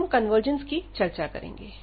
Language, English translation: Hindi, And now we will discuss the convergence here